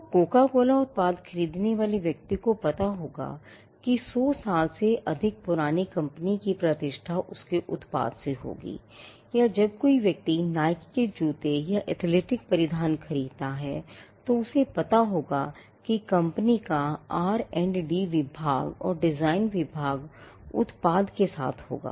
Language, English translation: Hindi, So, a person who brought a Coca Cola product would know that the reputation of a company that is more than 100 years old would stand by its product or when a person purchased a Nike shoe or an athletic apparel then, he would know that, the company’s R&D department and the design department would stand by the product and there is a reputation of the company, that has transferred through the brand